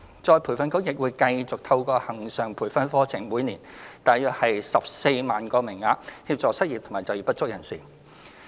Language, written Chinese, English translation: Cantonese, 再培訓局亦會繼續透過恆常培訓課程的每年約14萬個名額，協助失業及就業不足人士。, ERB will also continue to assist the unemployed and underemployed by providing around 140 000 places yearly through its regular training courses